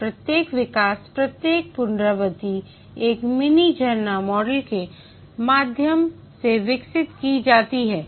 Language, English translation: Hindi, And each iteration is developed through a mini waterfall model